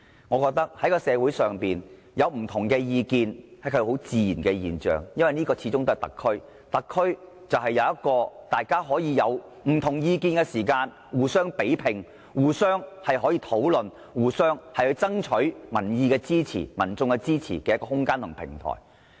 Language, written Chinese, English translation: Cantonese, 我認為社會上有不同意見是很自然的現象，因為這裏始終是特區，而特區應容許大家在出現意見分歧時有一個可以互相比拼、討論和爭取民意支持的空間和平台。, I think it is natural to have different opinions in society . There should be space and a platform for comparison discussion and solicitation of public support when views are divided